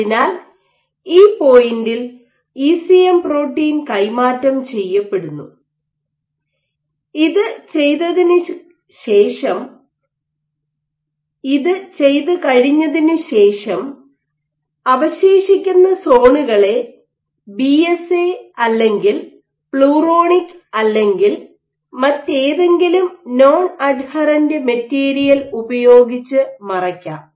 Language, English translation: Malayalam, So, at this point your ECM protein is getting transferred and after you have done this, you can block the remaining zones with BSA or Pluronic or any other made or peg any non adherent material